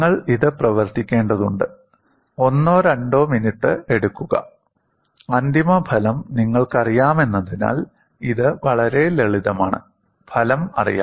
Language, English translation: Malayalam, You need to work it out; take a minute or two; it is fairly simple because the final result; the result is known